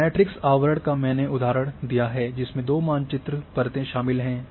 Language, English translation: Hindi, Matrix overlay this I have already given examples involving two map layers at a time